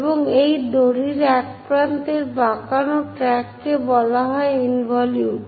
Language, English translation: Bengali, And the curved track by one of the end of this rope is called involutes